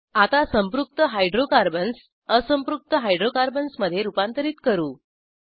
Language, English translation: Marathi, Let us learn to convert Saturated Hydrocarbons to Unsaturated Hydrocarbons